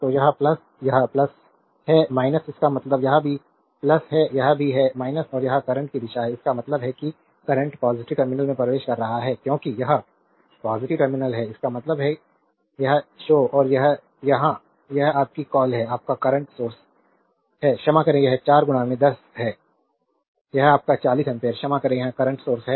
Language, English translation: Hindi, So, this plus this is plus minus means this is also plus, this is also minus and this is the direction of the current; that means, current is entering into the positive terminal because this is positive terminal; that means, this show and this here it is your what you call here, it is this is your current source sorry this is 4 into 10, it is your 4 ampere sorry it is current source